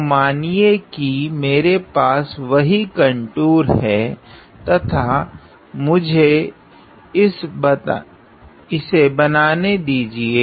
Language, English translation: Hindi, So, let us say that I have the same contour and let me just draw this